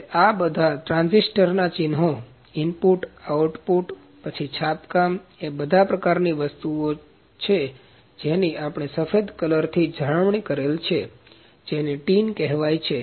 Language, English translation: Gujarati, So, all those symbols for transistors symbol for , input output, then printing the kind of all the things, that we will taken care within the white colour that is called as tin